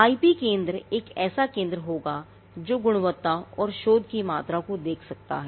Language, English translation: Hindi, Now, the IP centre will be a centre that can look into the quality and the quantity of research